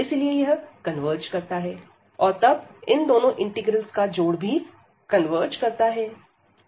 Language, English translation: Hindi, So, it convergence and then both the sum converges and the original the given integral converges